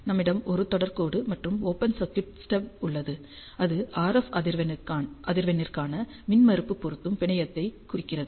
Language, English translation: Tamil, And we have a series line and the open circuited stub which represents impedance matching network for the RF frequency